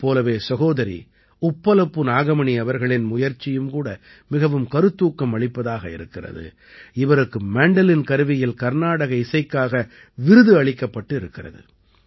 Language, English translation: Tamil, Similarly, the efforts of sister Uppalpu Nagmani ji are also very inspiring, who has been awarded in the category of Carnatic Instrumental on the Mandolin